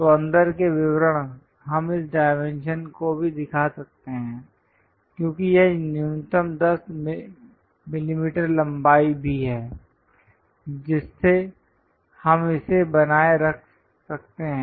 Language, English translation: Hindi, So, the inside details we can show even this dimension as this one also as long as minimum 10 mm length we can maintain it